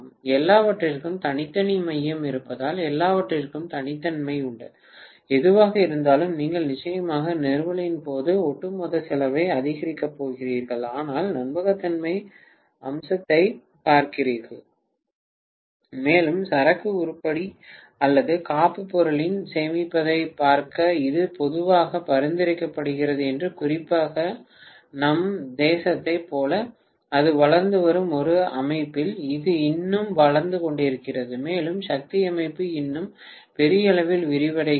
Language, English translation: Tamil, Very clearly because everything has individual core, everything has individual, whatever so, you are going definitely increase the overall cost during the installation but looking at the reliability feature and also looking at the storage of inventory item or backup item this generally is recommended and especially in a system where it is developing like our nation where it is developing still and power system still expanding in a big way